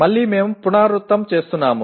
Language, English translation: Telugu, Again, we are repeating